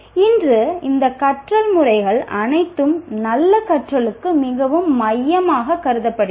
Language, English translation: Tamil, Actually today all these methods of learning are considered very central to good learning